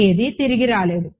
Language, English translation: Telugu, Nothing came back